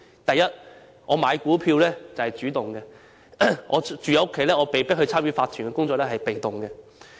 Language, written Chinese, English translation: Cantonese, 第一，買股票是主動的，但住戶被迫參與屋苑法團的工作則是被動的。, First buying shares is an active act while residents are in a passive position when they are forced to get involved in the work of OCs of their estates